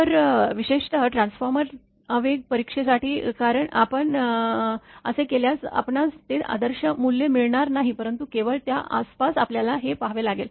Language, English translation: Marathi, So, particularly for transformer impulse test if you do so, you may not get that ideal value, but this is the standard you have to see around that only